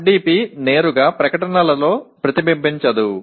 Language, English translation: Telugu, FDP does not directly get reflected in the statement